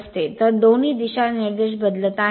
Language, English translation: Marathi, So, both directions are changing